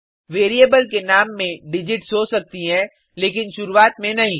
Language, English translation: Hindi, A variable name can have digits but not at the beginning